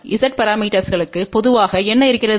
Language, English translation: Tamil, What we have generally for Z parameters